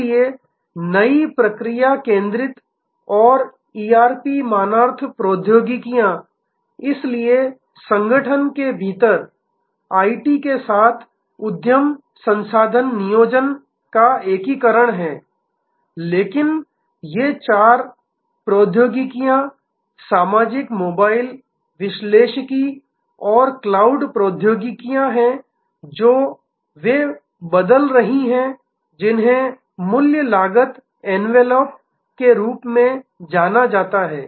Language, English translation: Hindi, So, new process centric and ERP complimentary technologies, so within the organization there is enterprise resource planning integration with IT, but these four technologies social, mobile, analytics and cloud technologies they are changing what is known as the value cost envelop